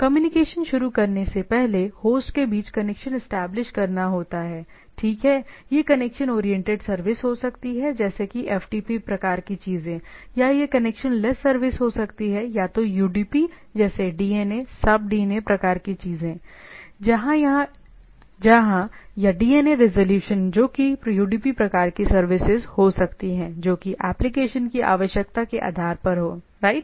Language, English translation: Hindi, Before start of communication the connection has to be established between the host, right, it can be a connection oriented service like FTP type of things or it can be a connectionless service right either UDP like say DNA, sub DNA type of things where or DNAs resolution that can be a UDP type of services based on the what the application needs, right